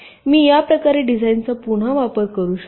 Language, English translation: Marathi, ok, i can reuse the designs in this way